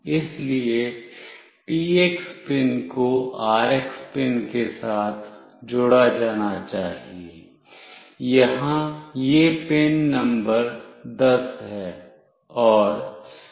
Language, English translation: Hindi, So, the TX pin must be connected with the RX pin, here it is pin number 10